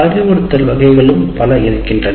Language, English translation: Tamil, And once again, instruction types, there are also many